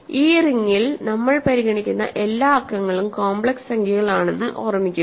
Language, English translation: Malayalam, And, remember all the numbers that we are considering in this ring are complex numbers